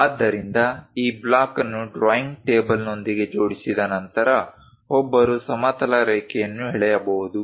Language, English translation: Kannada, So, once this block is aligned with the drawing table, then one can draw a horizontal line